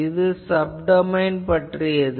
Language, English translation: Tamil, What is sub domain basis